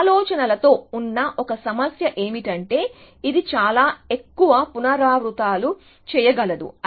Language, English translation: Telugu, So, that is one problem with ideas are that it may do too many iterations essentially